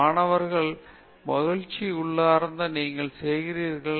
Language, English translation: Tamil, Student: The joy is intrinsic, you are doing